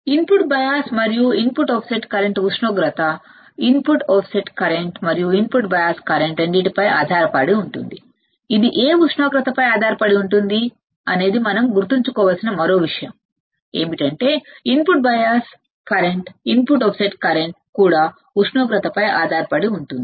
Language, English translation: Telugu, Both input bias and input offset current depends on the temperature input offset current and input bias current both depends on what temperature all right that is another thing we have to remember is that input bias current input offset current also depends on the temperature also depends on the temperature